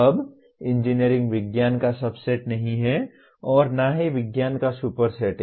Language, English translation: Hindi, Now, engineering is not a subset of science nor a superset of science